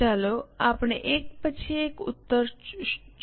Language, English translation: Gujarati, Let us try to look at solution one by one